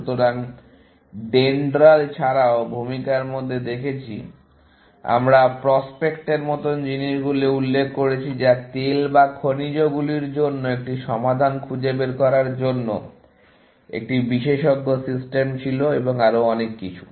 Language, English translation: Bengali, So, apart from DENDRAL, in the introduction, we might have mentioned things like prospector, which was an expert system to find a prospect for oils or minerals, and so on